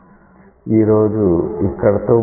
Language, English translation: Telugu, We stop here today